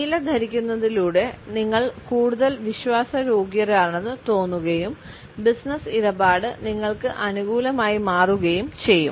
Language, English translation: Malayalam, By wearing blue you have seen more trustworthy and the business deal is more likely to turn out in your favor